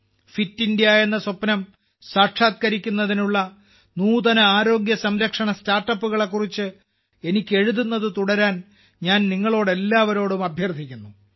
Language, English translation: Malayalam, I would urge all of you to keep writing to me about innovative health care startups towards realizing the dream of Fit India